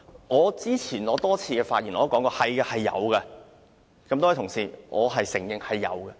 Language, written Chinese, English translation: Cantonese, 我早前在多次發言中都表示，是有經濟誘因的。, I said in my many speeches delivered earlier that there is an economic incentive